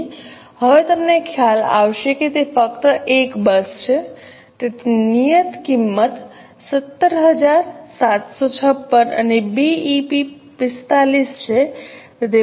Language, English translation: Gujarati, So, you will realize now it's just one bus, so fixed cost is 17,756 and BP is 45